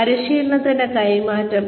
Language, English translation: Malayalam, The training process